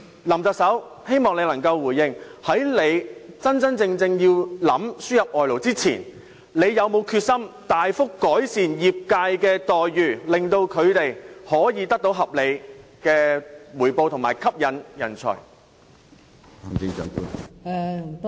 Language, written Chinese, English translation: Cantonese, 林特首，希望你能夠回應，在你認真要輸入外勞前，你是否有決心大幅改善業界的待遇，令他們可以得到合理的回報及吸引人才？, Chief Executive I hope you can respond to my following question . Before you decide to import workers are you determined that you can substantially improve the remunerations of the workers in this industry so that they can receive a reasonable pay and talents can be attracted to join the industry?